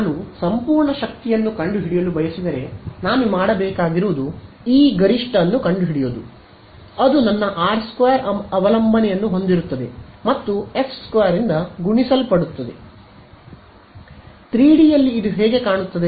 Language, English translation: Kannada, If I wanted to find out absolute power what I would have to do is find out E theta max which will have my r square dependence in it and multiplied by this F guy or F squared guy